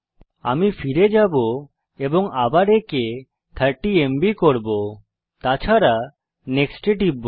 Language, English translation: Bengali, I will go back and change this to 30 MB and click on NEXT